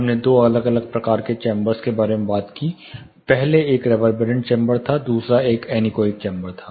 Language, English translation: Hindi, We talked about two different types chambers first was a reverberant chamber, other is an anechoic chamber